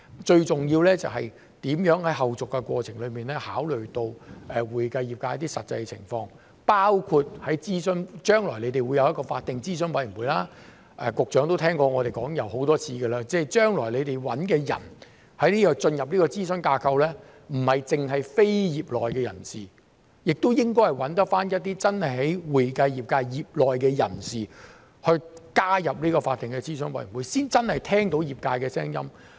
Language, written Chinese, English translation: Cantonese, 最重要的就是如何在後續過程中考慮到會計業界的實際情況，包括在諮詢方面，將來你們會有一個法定諮詢委員會，局長都聽過我們說過很多次，將來你們找人進入這個諮詢架構，不應局限於非業內人士，亦應該找一些真正在會計業界業內的人士加入法定諮詢委員會，才能真的聽到業界的聲音。, In terms of consultation you will have a statutory advisory committee in the future . As the Secretary has heard us saying many times when looking for people to join this advisory framework the candidates should not be limited to lay persons . You should also identify practitioners of the accounting profession to join the statutory advisory committee